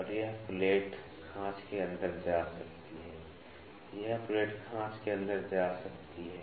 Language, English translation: Hindi, And, this plate can move inside the slot, this plate can move inside the slot